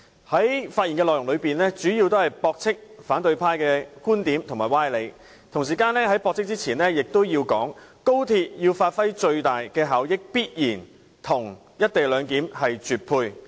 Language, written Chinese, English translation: Cantonese, 我發言主要為駁斥反對派的觀點和歪理，而在作出駁斥前，我亦要指出，要廣深港高速鐵路發揮最大效益，便必須"一地兩檢"配合。, My speech mainly aims to refute the opposition camps viewpoints and nonsense . Before I do so I must also point out that the co - location arrangement must be implemented as a means to maximize the benefits of the Guangzhou - Shenzhen - Hong Kong Express Rail Link XRL